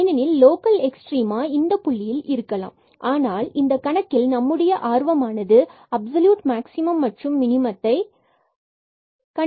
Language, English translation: Tamil, So, we have to consider this point because we can have local extrema at this interior point, but in this problem we our interest is to find absolute maximum and minimum